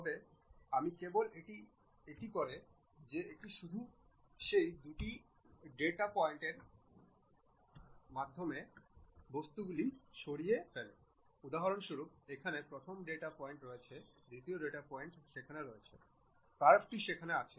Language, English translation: Bengali, If I just do that it removes that object which is in between those two data points for example, here first data point second data point is there curve is there